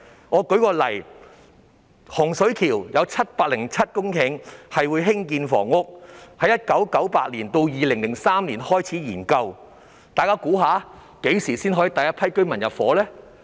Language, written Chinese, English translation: Cantonese, 我舉例，洪水橋有707公頃土地規劃用作興建房屋，項目由1998年至2003年便開始研究，但大家猜猜何時才可以有第一批居民入伙呢？, Hung Shui Kiu has 707 hectares of land that was planned for housing development and a study on the project was conducted between 1998 and 2003 . That said can Members guess when the first batch of residents will move in?